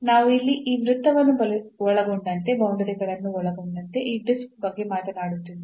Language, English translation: Kannada, So, we are talking about this disc including the boundaries including this circle here